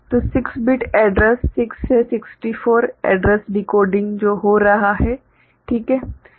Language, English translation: Hindi, So, 6 bit address; 6 to 64 address decoding that is what is happening ok